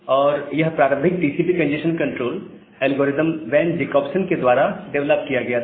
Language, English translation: Hindi, And this early TCP congestion control algorithm that was developed by Van Jacobson